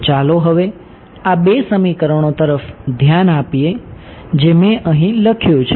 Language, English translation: Gujarati, So, now let us move attention to these two equations that I written over here